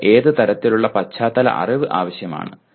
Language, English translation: Malayalam, What kind of background knowledge that you need to have